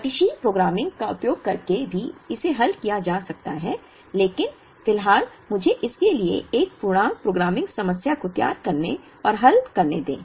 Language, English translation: Hindi, One could solve it using dynamic programming also, but at the moment let me formulate and solve an integer programming problem for this